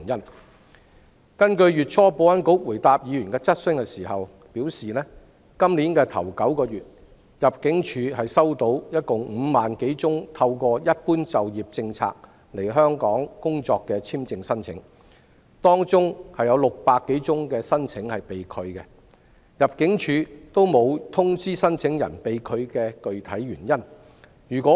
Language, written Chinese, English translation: Cantonese, 保安局月初回答議員質詢時表示，今天首9個月，入境處共收到5萬多宗透過"一般就業政策"來港工作的簽證申請，當中有600多宗申請被拒，入境處均沒有通知申請人被拒的具體原因。, In response to a question from a Member earlier this month the Security Bureau said that in the first nine months of the year ImmD has received over 50 000 applications for an employment visa to Hong Kong under the General Employment Policy . Among them 600 - odd applications have been rejected . ImmD has not informed the applicants of the specific reason for the rejection